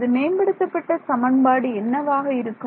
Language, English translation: Tamil, What was my update equation